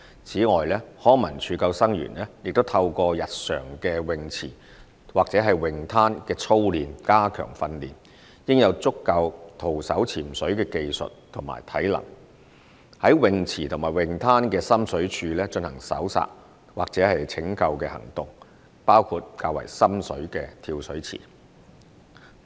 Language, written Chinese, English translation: Cantonese, 此外，康文署救生員也透過日常於泳池或泳灘的操練加強培訓，應有足夠徒手潛水的技術及體能，在泳池和泳灘的深水處進行搜索或拯救行動，包括較為深水的跳水池。, Furthermore LCSD lifeguards will undergo enhanced training by means of regular drills at swimming poolsbeaches and through which they should possess sufficient skin diving skills and be physically competent to carry out search and rescue operation in deep water at swimming poolsbeaches including deep diving pools